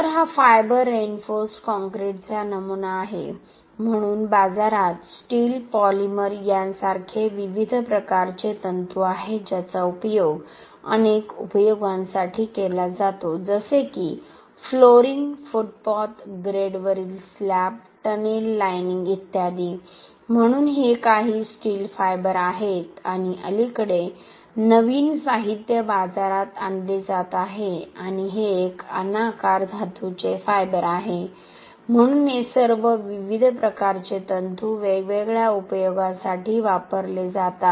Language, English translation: Marathi, So this is a specimen of fiber reinforced concrete, so there are different types of fibres in a market like steel, polymer which is used for many applications like flooring, pavements, slabs on grade, tunnel linings etc, so these are some steel fibres and recently new materials are being introduced in the market and this is an amorphous metallic fibre, so all these different types of fibers are used in for different applications